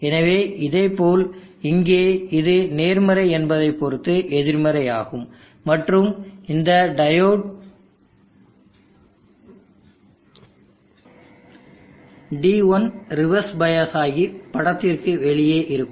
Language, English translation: Tamil, So likewise here this got will be negative with respect of this which is positive and this diode D1 will be reverse bias on out of the picture